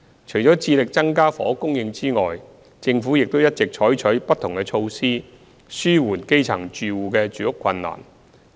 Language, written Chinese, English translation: Cantonese, 除致力增加房屋供應外，政府亦一直採取不同措施紓緩基層住戶的住屋困難。, Apart from striving to increase housing supply the Government has adopted various measures to alleviate the housing difficulties faced by the grass - roots households